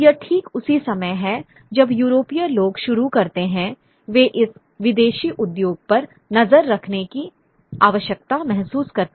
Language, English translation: Hindi, That is exactly when the Europeans start feeling the need for tracking this indigenous industry